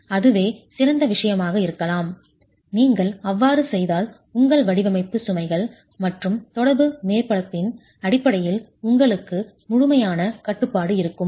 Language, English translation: Tamil, That may be the ideal thing to do, and if you do that, you have complete control in terms of your design loads and the interaction surface itself